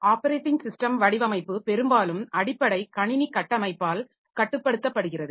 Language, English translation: Tamil, The operating system design is often influenced by the underlying computer system architecture